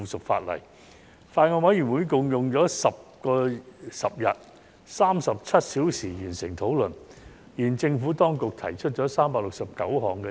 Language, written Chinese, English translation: Cantonese, 法案委員會用了10天共37小時完成討論，而政府當局提出了369項 CSA。, The Bills Committee has spent a total of 37 hours in 10 days to conclude the deliberation and the Administration has proposed 369 Committee stage amendments CSAs